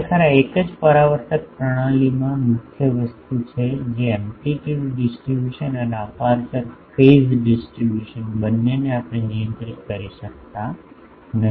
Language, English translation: Gujarati, Actually this is the main thing in a single reflector system actually both the amplitude distribution and the aperture phase distribution we cannot control